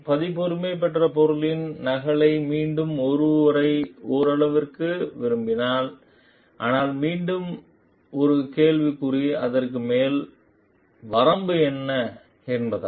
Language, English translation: Tamil, And you can like someone to some extent copy of the copyrighted material, but a question mark again is to what is the upper limit to it